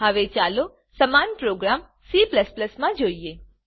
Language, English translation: Gujarati, Now let us see the same program in C++